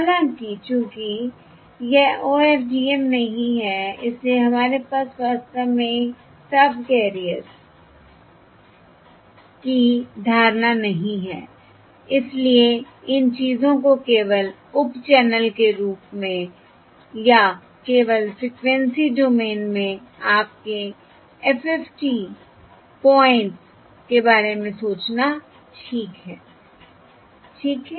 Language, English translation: Hindi, However, since it is not OFDM, we really do not have the notion of subcarriers, so it is better to simply think of these things as sub channels, or simply your FFT points in the frequency domain